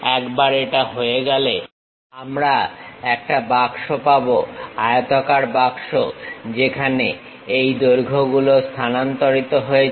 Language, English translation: Bengali, Once it is done we have a box, rectangular box, where these lengths have been transferred